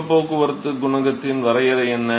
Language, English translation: Tamil, So, what is the definition of heat transport coefficient